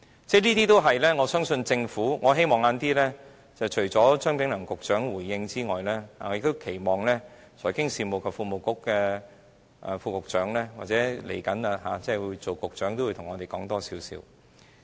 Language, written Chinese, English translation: Cantonese, 這些問題，我相信和希望政府在稍後回應時，除了張炳良局長回應外，也期望財經事務及庫務局副局長或下任局長會向我們多作解釋。, When the Government replies us later I expect Under Secretary for Financial Services and the Treasury or the next Secretary can give us an account of these issues on top of the response to be given by Secretary Prof Anthony CHEUNG